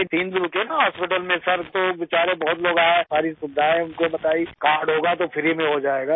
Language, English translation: Urdu, I stayed there for three days in the hospital, Sir, so many poor people came to the hospital and told them about all the facilities ; if there is a card, it will be done for free